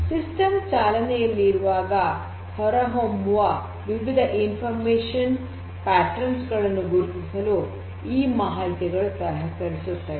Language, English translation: Kannada, It also helps, this information also helps in identifying different information patterns that emerge out of this execution or the running of the system